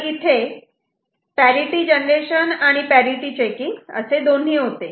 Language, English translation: Marathi, So, this is how we make use of parity generation and checking